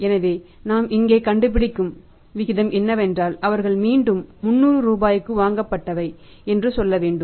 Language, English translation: Tamil, So, we will have to find out that say for example the ratio we are finding out here is that is the say again 300 rupees purchase they are made